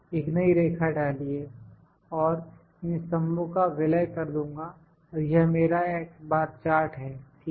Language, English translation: Hindi, Insert a line, and I will merge these and this is my x bar chart, ok